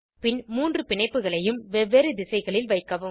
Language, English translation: Tamil, Then orient the three bonds in different directions